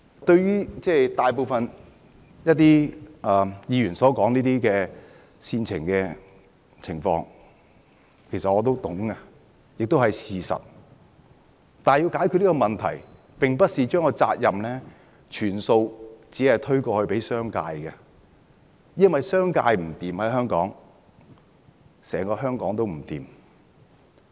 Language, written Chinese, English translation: Cantonese, 對於大部分議員所說的煽情情況，其實我也明白，亦是事實，但要解決問題，並不是把責任完全推卸給商界，因為如果商界在香港撐不住，整個香港也會撐不住。, That is the reality . However shifting the responsibility completely to the business sector is not the solution to the problem . If the business sector in Hong Kong is unable to cope the entire Hong Kong will also collapse